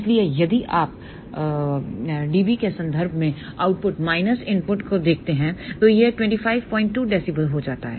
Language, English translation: Hindi, So, if you just look at output minus input in terms of dB then it comes out to be 25